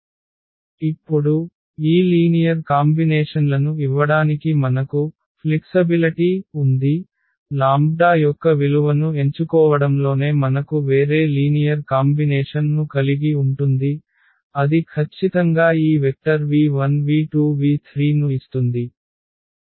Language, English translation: Telugu, So, choosing a different value of lambda we have a different linear combination that will give us exactly this vector v 1 v 2 and v 3